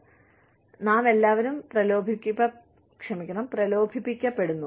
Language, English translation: Malayalam, So, we all get tempted